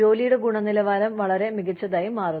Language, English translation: Malayalam, The quality of work becomes, much better